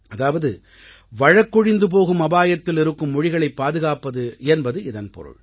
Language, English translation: Tamil, That means, efforts are being made to conserve those languages which are on the verge of extinction